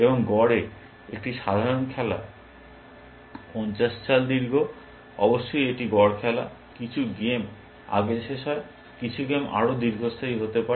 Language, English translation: Bengali, And on the average, a typical game is 50 moves long, so average game of course, some games get over earlier some games can long last and so on